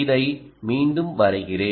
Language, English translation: Tamil, let me redraw this